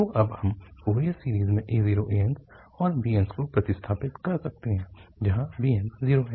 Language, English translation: Hindi, So then we can substitute in the Fourier series the a naught and an's the bn's are 0